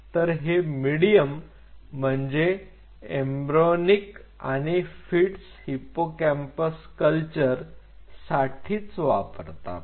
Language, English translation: Marathi, So, this is the medium which is used for embryonic or sorry, fetal hippocampal culture